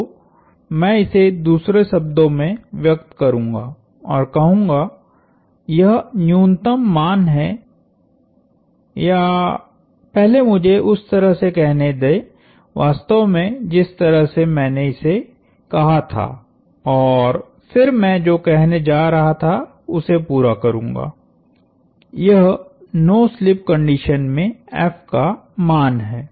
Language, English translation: Hindi, So, I will rephrase and say, this is the minimum value or let me actually say, the way I said it and then I will complete what I was going to say, this is the value of F under no slip conditions